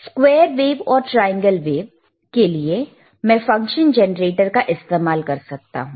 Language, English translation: Hindi, sFor square waves, triangle waves I can use the function generator